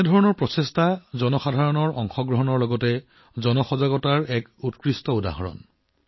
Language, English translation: Assamese, Such efforts are great examples of public participation as well as public awareness